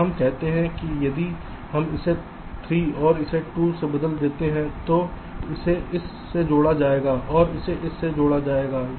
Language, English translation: Hindi, lets say, if we just replace this by three and this by two, then this will be connected to this